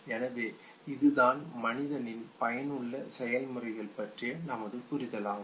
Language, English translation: Tamil, So this was all about our understanding of human effective processes